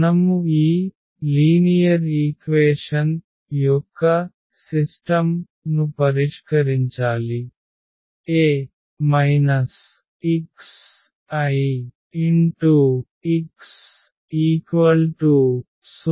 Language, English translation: Telugu, So, we have to solve the system of linear equation A minus lambda x is equal to 0